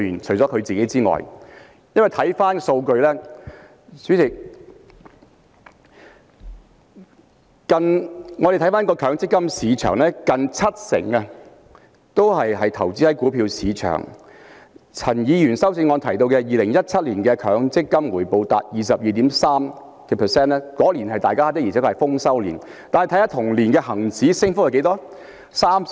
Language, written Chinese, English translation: Cantonese, 代理主席，看回數據，我們看到強積金市場近七成是投資在股票市場，陳議員在修正案中提到2017年強積金回報達 22.3%， 當年的而且確是豐收年；但再看看同年的恒指升幅是多少？, Deputy President coming back to the data we see that almost 70 % of the MPF contributions are invested in the stock market . In his amendment Mr CHAN mentioned that MPFs rate of return in 2017 was 22.3 % ―and indeed that year was a year of good harvest but look at how much the Hang Seng Index rose in the same year